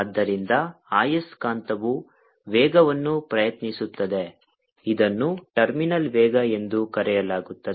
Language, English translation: Kannada, so the, the, the magnet attempts velocity, which is called terminal velocity